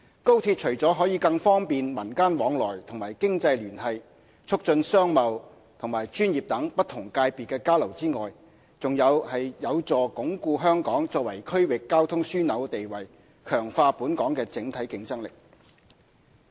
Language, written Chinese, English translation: Cantonese, 高鐵除了可更方便民間來往和經濟聯繫、促進商貿和專業等不同界別的交流外，還有助鞏固香港作為區域交通樞紐的地位，強化本港的整體競爭力。, XRL will not only foster interactions at the community level and economic ties by facilitating exchanges in various aspects such as commercial and professional fields but also strengthen Hong Kongs role as a regional transportation hub and strengthen our overall competitiveness